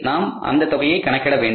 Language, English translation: Tamil, Now how we have calculated this figure